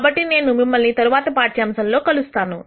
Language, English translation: Telugu, So, I will see you in the next lecture